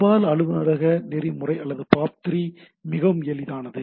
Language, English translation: Tamil, But so, post office protocol or POP3 it is simple